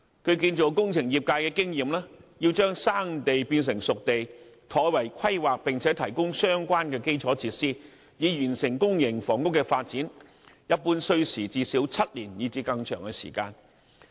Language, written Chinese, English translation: Cantonese, 據建造工程業界經驗，要將"生地"變成"熟地"，妥為規劃並提供相關基礎設施，以完成公營房屋發展，一般需時最少7年以至更長的時間。, According to the experience of the construction and engineering sector it generally takes at least seven or more years to turn a potential site into a spade ready site undertake proper planning and provide relevant infrastructural facilities to complete a public housing development